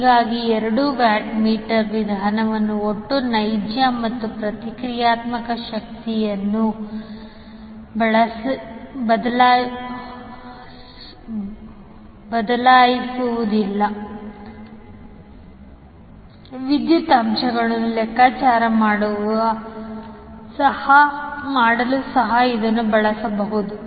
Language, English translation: Kannada, So what you can say that the two watt meter method is not only providing the total real power, but also the reactive power and the power factor